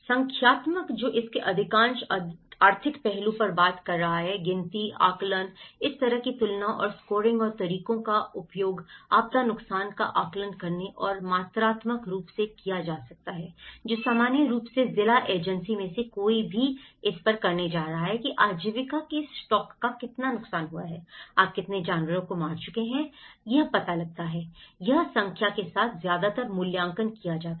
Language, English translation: Hindi, Numerical, which is talking on most of the economic aspect of it; counting, estimating, comparing and scoring and methods of this kind could be used in assessing disaster losses and quantifying which normally any of the district agency is going to do on this, how much of the livelihood stock has been damaged, how much of the animals have been killed you know, this is how mostly assessed with the numbers